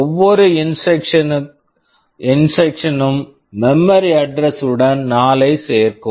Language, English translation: Tamil, Each instruction will be adding 4 to the memory address